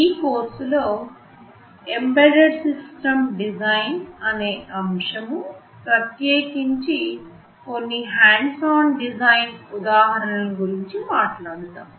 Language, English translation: Telugu, In this course we shall be talking about various aspects of Embedded System Design, in particular we shall be emphasizing on some hands on design examples